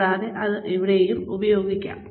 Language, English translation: Malayalam, And, that can also be used here